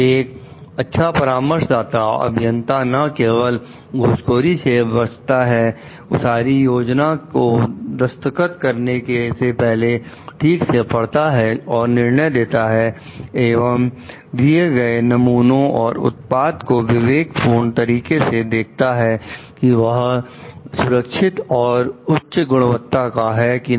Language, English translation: Hindi, A good consulting engineer not only shuns bribery, checks plans before signing off on them and the like, but also must exercise judgments and discretion to provide a design or product that is safe and of high quality